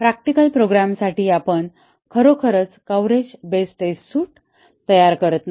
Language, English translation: Marathi, For a practical program, we do not really design coverage based test suites